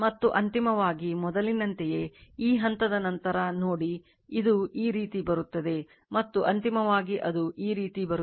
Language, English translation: Kannada, And finally, again after this point same as before, see it will come like this, and finally it will come like this